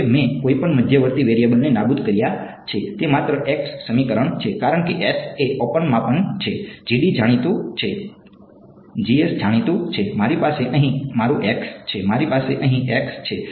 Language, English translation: Gujarati, Now, I have eliminated any intermediate variables it's only an equation in x right, because s is measurement, G S is known, G D is known, I have my x over here, I have my x over here